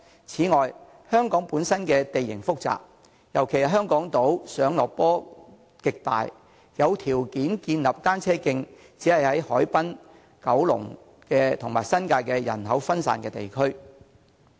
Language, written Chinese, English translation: Cantonese, 此外，香港本身地形複雜，特別是港島，上落斜坡的斜度極大，有條件建立單車徑的只是海濱，以及九龍和新界人口分散的地區。, Moreover in view of the complicated topography in Hong Kong especially on Hong Kong Island with roads rising and falling in steep gradients only the harbourfront and areas in Kowloon and the New Territories where the people are sparsely populated can offer the conditions for building cycle tracks